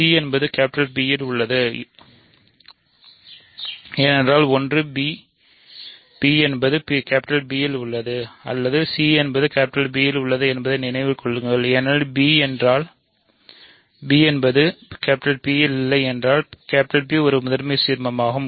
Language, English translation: Tamil, So, c is in P right because remember either b is in P or c is in P because P is a prime ideal if b is not in P c is in P